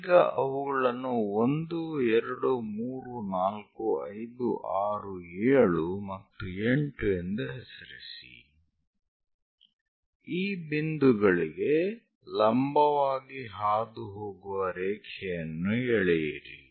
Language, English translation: Kannada, Now name them 1, 2, 3, 4, 5, 6, 7 and 8 draw a line which pass perpendicular to these points